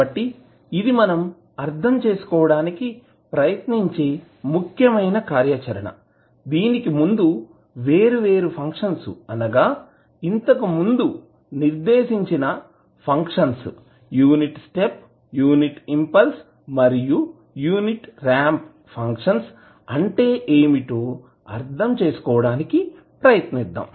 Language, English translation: Telugu, Before that, let us try to understand what are the various functions which we just mentioned here like unit step, unit impulse and unit ramp functions